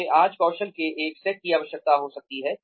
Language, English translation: Hindi, I may need one set of skills today